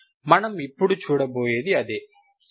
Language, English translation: Telugu, That is what we will see now, Ok